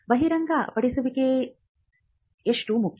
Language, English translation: Kannada, How important is the disclosure